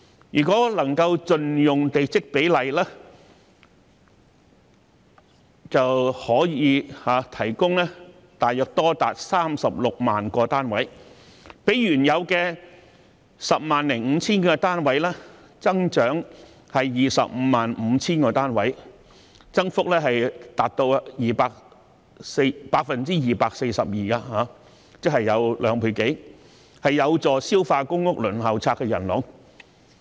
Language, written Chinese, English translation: Cantonese, 如果能夠盡用地積比率，就可以提供大約多達 360,000 個單位，較原有的 105,000 個單位增加 255,000 個單位，增幅達 242%， 即是兩倍有多，有助消化公屋輪候冊的人龍。, If the plot ratios could be fully utilized as many as about 360 000 units would be provided which is 255 000 units more than the existing number of 105 000 units representing an increase of 242 % or more than two folds . This would help clear up the queue on the Waiting List for public rental housing